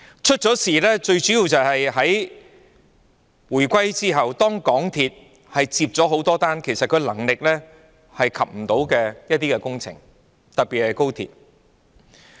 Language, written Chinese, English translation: Cantonese, 出事最主要的原因，是在回歸後港鐵公司承接了很多能力未及的工程，特別是高鐵。, The main reason for things going awry is that since the reunification MTRCL has undertaken many projects in particular XRL that are beyond its ability to accomplish